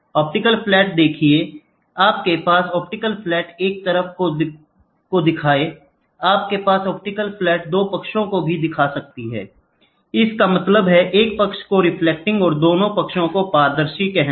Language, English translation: Hindi, See optical flat you can have one side optical flat, you can have 2 sides optical flat; that means, to say both sides one side reflecting and both sides transparent